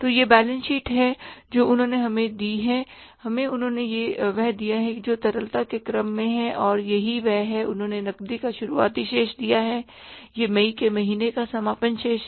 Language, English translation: Hindi, So, this is a balance which we have given, they have given to us says that is in the order of liquidity and this is what that they have given opening balance of cash